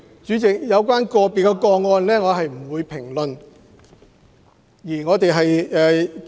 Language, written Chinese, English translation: Cantonese, 主席，關於個別個案，我不會作出評論。, President I will not comment on individual cases